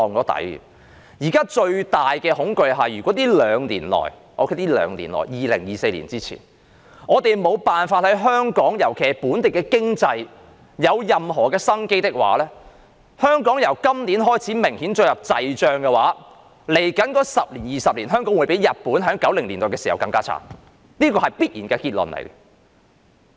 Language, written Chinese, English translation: Cantonese, 現時最大的恐懼是，在這兩年內，就是在2024年前，如果我們沒法令香港的經濟再現生機的話，當香港經濟由今年起明顯進入滯脹時，在未來10年至20年，香港的情況會較日本在1990年代時更慘，這是必然的結論。, The greatest fear now is that if we cannot revive the Hong Kong economy within these two years that is before 2024 when the local economy shows obvious signs of entering the doldrums from this year onwards the situation of Hong Kong in the next 10 to 20 years will be even worse than that of Japan in the 1990s . This is a foregone conclusion